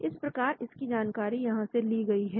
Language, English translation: Hindi, so this knowledge was taken from this reference